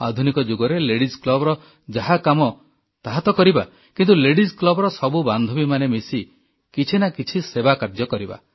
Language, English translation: Odia, Routine tasks of a modern day Ladies' club shall be taken up, but besides that, let all members of the Ladies' club come together & perform an activity of service